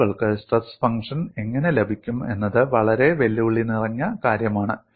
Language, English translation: Malayalam, How people get the stress function is a very challenging aspect